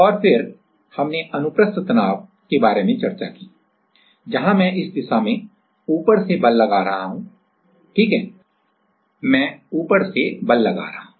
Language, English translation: Hindi, And, then we discussed about transverse stress right where I am applying the force in this direction from the top correct, from the top I am applying the force